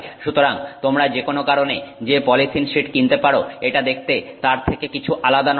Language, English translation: Bengali, So, it looks no different than you know polythene sheet that you may purchase for any other purpose